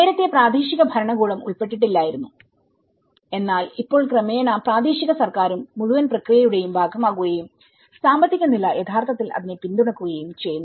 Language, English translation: Malayalam, And earlier local government was not playing but now, gradually local government also have taken part of the whole process and the economic status is actually, supporting to that